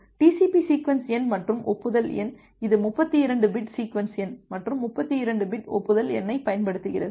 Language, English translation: Tamil, The TCP sequence number and acknowledgement number it uses 32 bits sequence number and 32 bit acknowledgement number